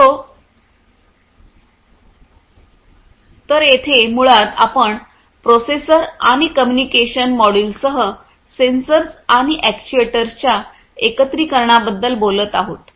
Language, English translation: Marathi, So, here basically you are talking about integration of sensors and actuators, with a processor and a communication module